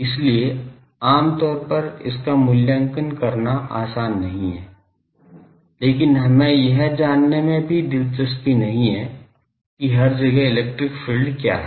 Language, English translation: Hindi, So, generally the, it is not easy to evaluate it, but we are also not interested to know what is the electric field everywhere